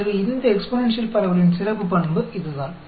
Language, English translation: Tamil, So, that is the special characteristic of this exponential distribution